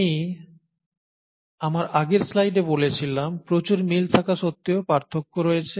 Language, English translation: Bengali, So there are, in my previous slide I said, there were plenty of similarities yet there are differences